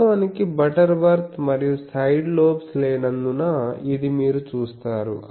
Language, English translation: Telugu, So, this is actually Butterworth and you see that is why there are no side lobes